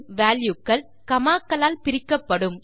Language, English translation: Tamil, And these values will be separated by commas